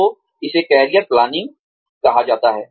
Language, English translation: Hindi, So, that is called career planning